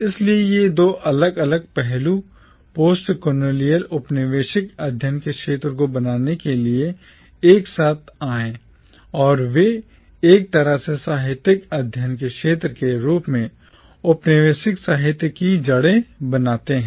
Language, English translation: Hindi, So these two separate aspects came together to form the field of postcolonial studies and they in a way form the roots of postcolonial literature as a field of literary studies